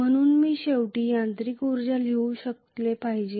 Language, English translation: Marathi, So I should be able to write the mechanical energy finally as that is